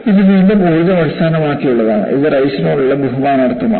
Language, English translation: Malayalam, This is again energy based and this is in honor of Rice